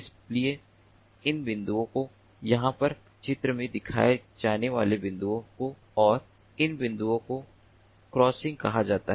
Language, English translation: Hindi, so these points that are shown over here are termed as the crossings, these points and these points